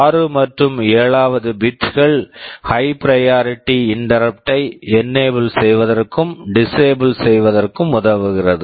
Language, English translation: Tamil, Then bits 6 and 7 are for enabling and disabling the high priority interrupt and the normal prior to interrupt